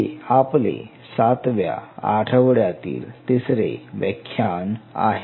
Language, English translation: Marathi, So this is our lecture 3 and this is week 7